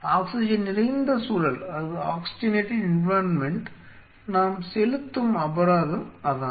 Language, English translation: Tamil, That is the penalty we pay for being an oxygenated environment